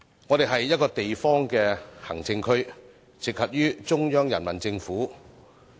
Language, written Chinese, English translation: Cantonese, 香港是一個地方行政區，直轄於中央人民政府。, Hong Kong is a local administrative region that comes directly under the Central Peoples Government